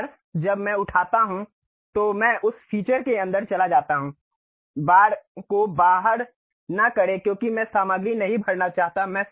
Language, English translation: Hindi, Once I have picked I went inside of that to Features; not extrude bars because I do not want to fill the material